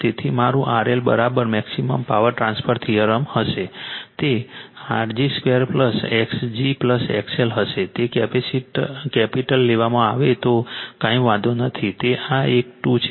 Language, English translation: Gujarati, Therefore, my R L will be is equal to maximum power transfer theorem, it will be R g square plus X g plus it is capital is taken does not matter this one is square